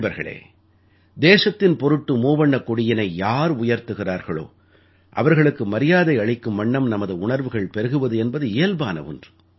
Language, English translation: Tamil, Friends, it is but natural to get emotional in honour of the one who bears the Tricolour in honour of the country